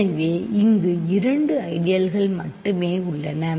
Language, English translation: Tamil, So, there are only two ideals here